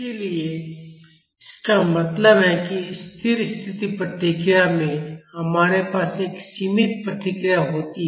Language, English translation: Hindi, So; that means, in the steady state response, we have a bounded response